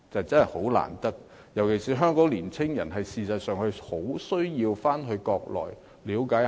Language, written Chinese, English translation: Cantonese, 事實上，香港年青人尤其需要到國內了解一下。, In fact young people in Hong Kong particularly need these opportunities to get to know more about the Mainland